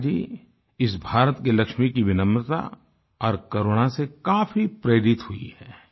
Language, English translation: Hindi, Megha Ji is truly inspired by the humility and compassion of this Lakshmi of India